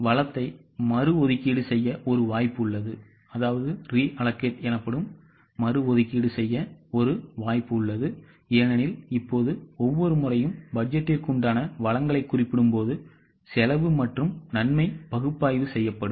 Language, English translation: Tamil, There is an opportunity to reallocate the resource because now the cost benefit analysis will be done every time the resource of the budget will be done